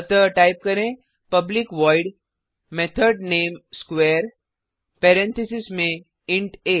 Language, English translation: Hindi, So type public void method name square within parentheses int a